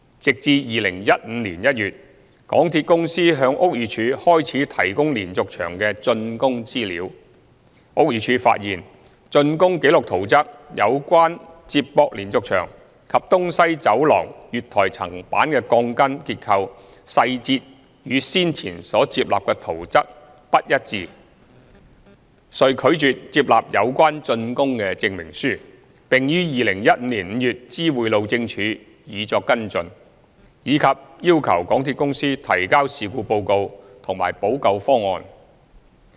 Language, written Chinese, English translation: Cantonese, 直至2015年1月，港鐵公司向屋宇署開始提供連續牆的竣工資料，屋宇署才發現竣工記錄圖則有關接駁連續牆及東西走廊月台層板的鋼筋結構細節，與先前所接納的圖則不一致，遂拒絕接納有關竣工證明書，並於2015年5月知會路政署以作跟進，以及要求港鐵公司提交事故報告和補救方案。, It was not until January 2015 when MTRCL began providing BD with information of the completed works that BD discovered the inconsistency between the as - built record plan and the previously approved plan in respect of the structural details of the steel reinforcement bars connecting the diaphragm walls and the East West Line platform slab . Refusing to accept the relevant certificate on works completion BD notified HyD in May 2015 for follow - up and requested MTRCL to submit a report on the incident and a remedial proposal